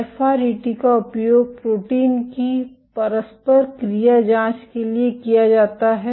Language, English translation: Hindi, FRET is used for probing protein interactions